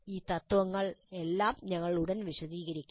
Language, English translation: Malayalam, We will elaborate on all these principles shortly